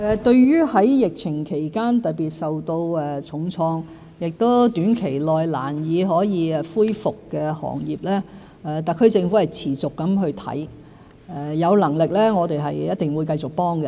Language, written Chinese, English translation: Cantonese, 對於在疫情期間特別受到重創，亦於短期內難以恢復的行業，特區政府是持續地檢視情況，有能力的話我們一定會繼續幫助。, For those industries which have been particularly hard hit during the pandemic and may not be able to recover in the short term the SAR Government will keep an eye on their situations and will surely continue to offer them assistance if possible